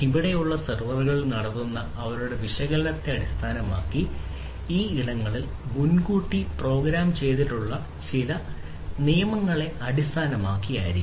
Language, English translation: Malayalam, So, based on their analysis that is performed in the servers over here maybe based on certain rules etcetera that are already pre programmed in those you know cyber spaces